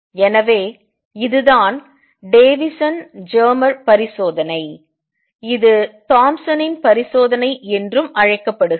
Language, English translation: Tamil, So, this is what is known as Davisson Germer experiment also Thompson’s experiment